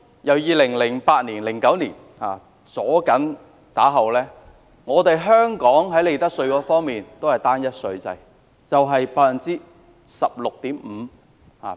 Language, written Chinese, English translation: Cantonese, 由 2008-2009 年度起的多年內，香港在利得稅方面實行單一稅制，稅率為 16.5%。, For many years since 2008 - 2009 Hong Kong implemented a one - tier tax regime in terms of profits tax and the tax rate was 16.5 %